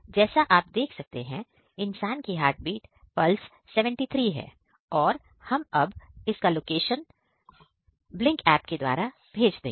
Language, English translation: Hindi, So, you can see the heartbeat pulse is rating 73 right now and now we will send the location of the person on the Blynk app